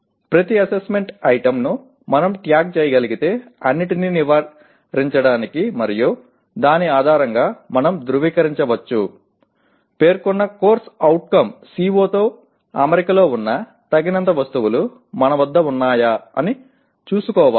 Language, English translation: Telugu, To avoid all that we can tag each assessment item and based on that we can verify whether we have adequate number of items which are in alignment with the stated CO